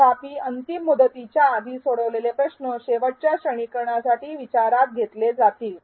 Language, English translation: Marathi, However, the last quiz score attempted before the deadline will be considered for final grading